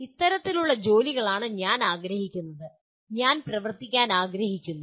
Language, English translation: Malayalam, This is the kind of jobs that I would like to, I wish to work on